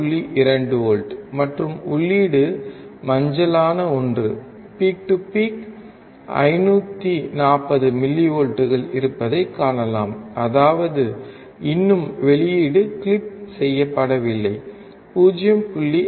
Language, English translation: Tamil, 2 volts at the output, and the input is yellow one peak to peak 540 millivolts; that means, still the output has not been clipped so, 0